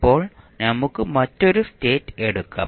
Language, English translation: Malayalam, Now, let us take another condition